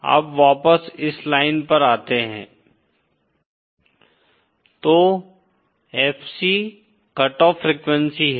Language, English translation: Hindi, So FC is the cut off frequency